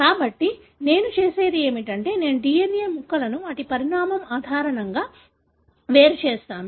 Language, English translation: Telugu, So, what I do is, I separate the DNA fragments based on their size